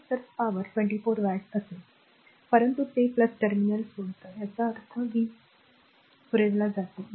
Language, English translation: Marathi, So, p it will be 24 watt, but it is leaving the plus terminal; that means, power supplied